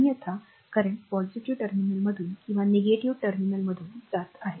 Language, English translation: Marathi, Otherwise current entering through the positive terminal or leaving through the negative terminal